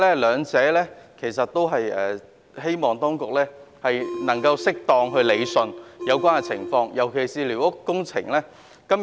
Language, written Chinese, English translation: Cantonese, 我希望當局能夠適當理順有關情況，尤其是在寮屋方面。, I urge the Administration to rationalize this situation by addressing the issue of squatters in particular